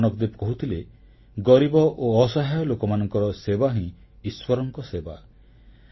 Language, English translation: Odia, Guru Nanak Devji said that the service to the poor and the needy is service to God